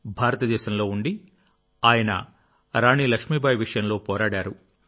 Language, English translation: Telugu, Staying in India, he fought Rani Laxmibai's case